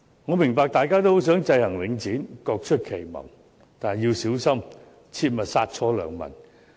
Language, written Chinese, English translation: Cantonese, 我明白大家都很想制衡領展，各出奇謀，但要小心，切勿殺錯良民。, I understand that we all wish to keep Link REIT in check each making particular proposals but we must be mindful of not killing the innocent